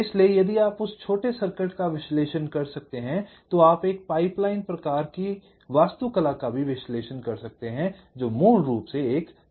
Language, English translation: Hindi, so if you can analyse that small circuit, you can also analyse, flip analyse a pipeline kind of architecture which basically has a very similar structure